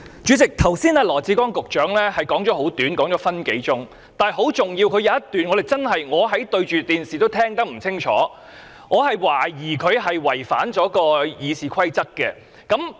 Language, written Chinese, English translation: Cantonese, 主席，羅致光局長剛才的發言十分短，只有1分多鐘，但當中有一段十分重要，我看着電視也聽不清楚，我懷疑他是違反《議事規則》的。, President Secretary Dr LAW Chi - kwong has given a rather short speech just now which was only more than a minute long . But there is this one very important passage . I could not hear clearly what he said even I was watching the live telecast